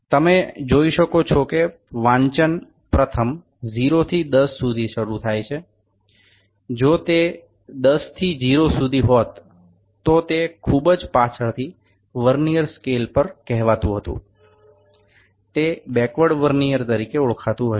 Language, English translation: Gujarati, You can see that reading first starts from 0 to 10, had it been from 10 to 0 it might be called as on the Vernier scale on the very had it been from 10 to 0 it might be called as a backward Vernier